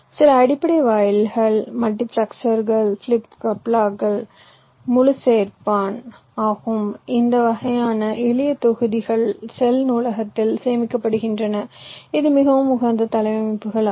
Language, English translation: Tamil, some of them are shown, some that the basic gates, multiplexers, flip plops say, say full header, this kind of simple blocks are stored in the cell library in terms of, you can say, highly optimized layouts